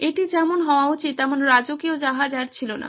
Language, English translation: Bengali, It was not a royal ship as it should be